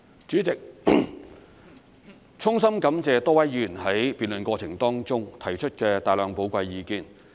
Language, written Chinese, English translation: Cantonese, 主席，衷心感謝多位議員在辯論過程當中提出的大量寶貴意見。, President I would like to express my heartfelt gratitude to the many Members who have offered a lot valuable views